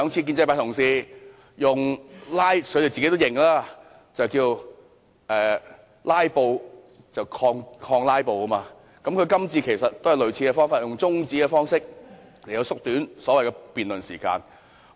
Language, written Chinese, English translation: Cantonese, 建制派同事也承認，之前兩次是以"拉布"抗"拉布"，他這次也是採取類似的做法，以中止辯論的方式縮短討論時間。, The pro - establishment colleagues also admit that they counter filibustering by way of filibustering for the last two meetings . He took a similar action this time to shorten the discussion time by adjourning the debate